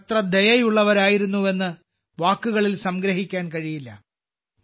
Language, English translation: Malayalam, The magnitude of her kindness cannot be summed up in words